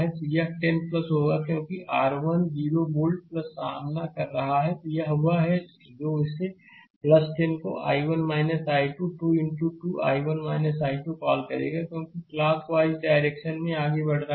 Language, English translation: Hindi, So, it will be plus 10 because it is encountering your 10 volt plus right, then it is it will be your what you call this plus 10 into i 1 minus i 2 into i 1 minus i 2 right because we are going we are moving clockwise